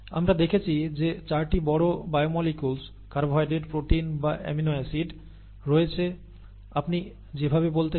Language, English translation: Bengali, We saw that there were 4 major biomolecules, carbohydrates, proteins or amino acids, whichever you want to call it